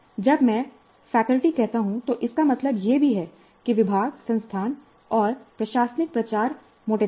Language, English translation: Hindi, When I say faculty, it also means the departments, the institute, the administrative missionary broadly